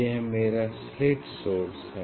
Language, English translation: Hindi, now this is my slit source